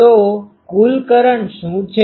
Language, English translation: Gujarati, So, what is a total current